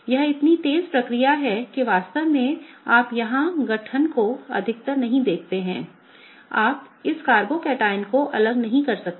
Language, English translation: Hindi, This is such a fast process that in fact, you do not even see the formation here more often, you cannot isolate this carbocation